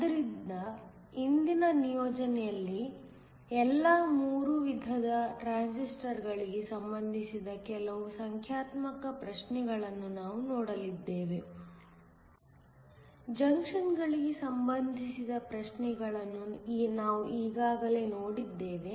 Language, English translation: Kannada, So, in today’s assignment, we are going look at some of the numerical problems related to all three types of transistors; we have already seen problems related to junctions